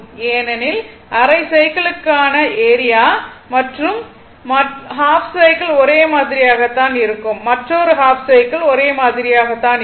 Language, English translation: Tamil, Because, area for half cycle and another half cycle remain same